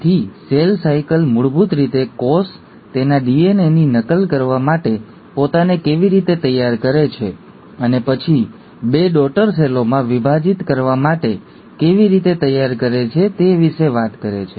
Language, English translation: Gujarati, So cell cycle basically talks about how a cell prepares itself to duplicate its DNA and then, to divide into two daughter cells